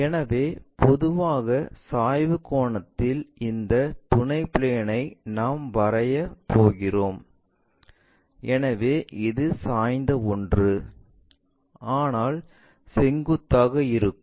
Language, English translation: Tamil, So, the general inclination angle, if we are going to draw that this auxiliary plane; so, inclined one, but still perpendicular